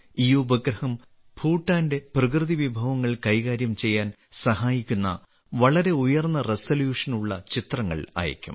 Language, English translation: Malayalam, This satellite will send pictures of very good resolution which will help Bhutan in the management of its natural resources